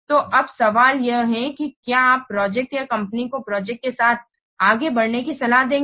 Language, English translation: Hindi, So now the question is, would you advise the project or the company going ahead with the project